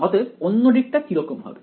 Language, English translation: Bengali, So, the other side will be what